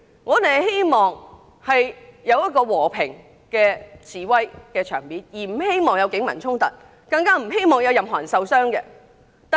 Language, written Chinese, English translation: Cantonese, 我們希望有一個和平示威的場面，不希望出現警民衝突，更不希望有任何人受傷。, We hoped that the protest could be held peacefully we did not wish to see any clashes between the people and the Police or anyone getting hurt